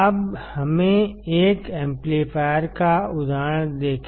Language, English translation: Hindi, Now, let us see an example of a summing amplifier